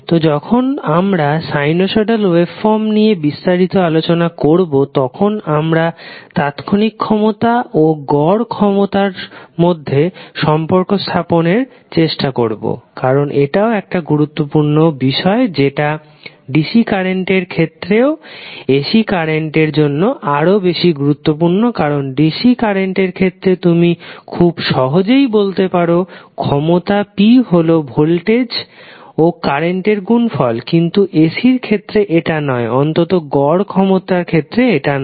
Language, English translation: Bengali, So, when we will discuss in detail the sinusoidal waveforms we will try to establish the relation between instantaneous power and average power because that is also the important concept which is more important for ac currents rather than dc currents because in dc currents you can simply say that power p is nothing but a product of voltage and current but in ac it does not atleast for average power it does not follow like this